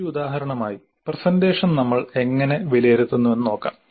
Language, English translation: Malayalam, As an example, we can look at how we evaluate the presentation